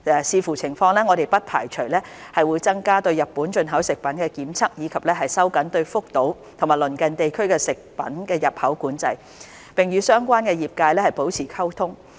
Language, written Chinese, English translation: Cantonese, 視乎情況，我們不排除會增加對日本進口食品的檢測，以及收緊對福島及鄰近地區的食品的入口管制，並與相關業界保持溝通。, Depending on the circumstances we will not rule out increasing the tests on Japanese food imports and tightening import control on food products from Fukushima and its neighbouring areas while maintaining communication with the relevant trade